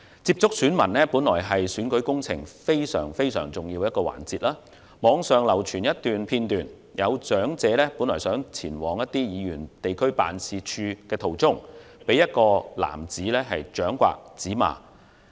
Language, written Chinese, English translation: Cantonese, 接觸選民本來是選舉工程非常重要的一環，但網上流傳片段，有長者在前往議員地區辦事處途中，被一名男子掌摑、指罵。, One very important part of an electioneering campaign is to come into contact with voters but according to a video clip circulated on the Internet a man slapped and swore at an elderly person who was on her way to a members office